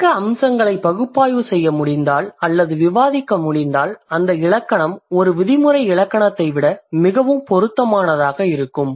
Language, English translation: Tamil, If the descriptive features can be can be analyzed or can be discussed, then that grammar is going to be more suitable than a prescriptive grammar